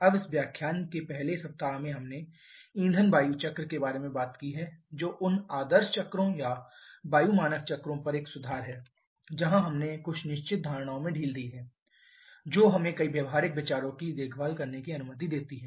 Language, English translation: Hindi, Now in the first week of this lecture we have talked about the fuel air cycle which is an improvement over those ideal cycles or air standard cycles where we relaxed quite a few certain assumptions they are way allowing us to take care of several practical considerations